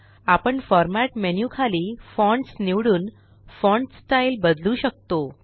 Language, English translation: Marathi, We can change the font style by choosing Fonts under the Format menu